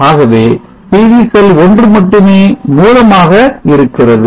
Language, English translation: Tamil, So here you see that the contribution is only from PV cell 1